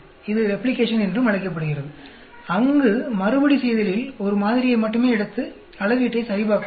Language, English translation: Tamil, That is also called Replication, where as in Repeatability we may take only one sample and check the measurement